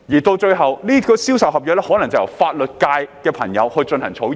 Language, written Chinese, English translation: Cantonese, 到了最後，銷售合約可能就由法律界的朋友進行草擬。, After all sales contracts may be drawn up by a person in the legal profession